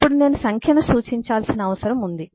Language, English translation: Telugu, now I need to represent number